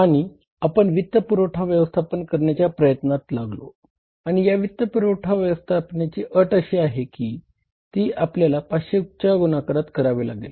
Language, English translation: Marathi, So, we went for the financing arrangements and the condition there was in the financing arrangements condition in the cases that we have to borrow in the multiples of 500